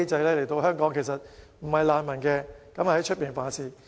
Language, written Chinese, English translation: Cantonese, 他們本身其實不是難民，但來港後犯事。, Actually they are not refugees as such but they commit crimes after coming to Hong Kong